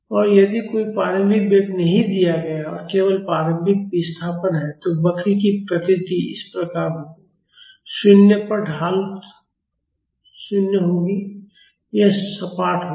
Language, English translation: Hindi, And if there is no initial velocity given and if there is only initial displacement, then the nature of the curve will be like this, slope at 0 will be 0; so, this will be flat